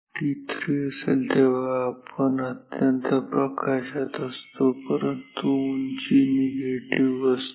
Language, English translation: Marathi, t 3 where when we are at the extreme light, but height is negative